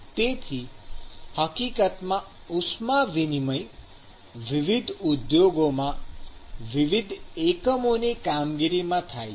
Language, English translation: Gujarati, So, in fact, heat transfer occurs in the various unit operations in different industries